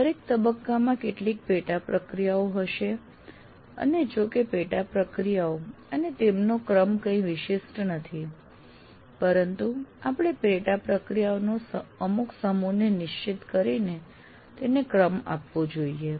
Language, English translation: Gujarati, Every phase will have some sub processes and though this the sub processes and their sequence is not anything unique, but some set of sub processes we have to identify and also sequence them